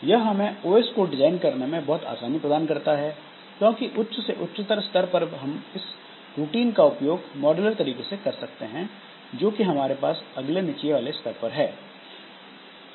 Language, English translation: Hindi, So, that helps us in making this design this OS very easy because at higher and higher level so we can utilize the routines that we have the that we have at the next lower level and then we can do it in a modular fashion